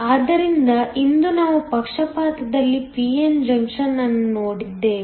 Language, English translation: Kannada, So, today we have looked at a p n junction in bias